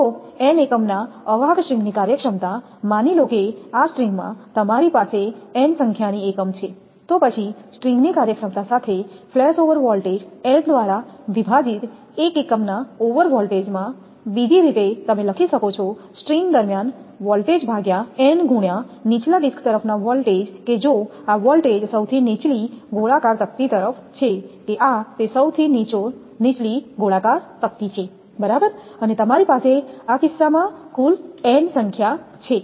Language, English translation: Gujarati, So, the string efficiency of an insulator of n units suppose in this string you have n number of units, say then string efficiency with flash over voltage of the string divided by n into flash over voltage of one unit, other way you can write voltage across the string divided by n into voltage across the lowermost disc, that if this voltage across the lowermost disc is that this is that lowermost disc right and you have total n number of in this case